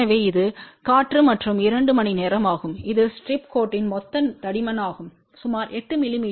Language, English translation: Tamil, So, this is air ok and 2 h which is the total thickness of the strip line is about 8 mm which is from ground to ground